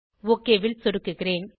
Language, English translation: Tamil, Let me click ok